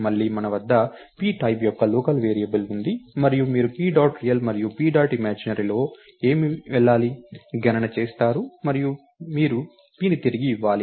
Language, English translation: Telugu, Again we have a local variable of the type p, and you compute what should go into p dot real and p dot imaginary and you return p